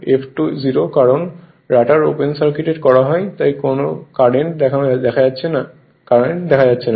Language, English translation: Bengali, Since the rotor mmf F 2 0because rotor is open circuited so no current is showing